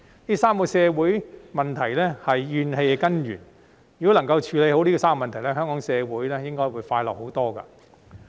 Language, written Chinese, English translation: Cantonese, 這3個社會問題是怨氣的根源，如果能夠處理好這3個問題，香港社會應該會快樂很多。, These three social problems are the root causes of grievances so if they are properly addressed our community will be a lot happier